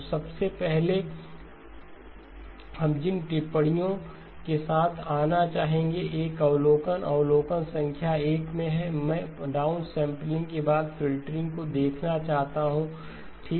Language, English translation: Hindi, So first of the observations that we will want to come up with okay, this is an observation, observation number 1, I want to look at down sampling followed by filtering okay